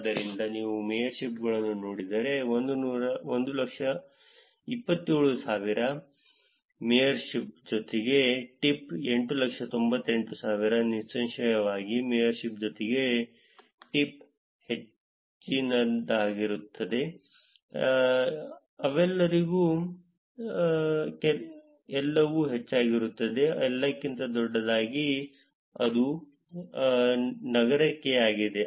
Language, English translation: Kannada, So, if you look at mayorships 127,000; mayorship plus tip 898,000; obviously, mayorship plus tip will be higher, all will be higher for all of them, bigger than all of them and that is for the city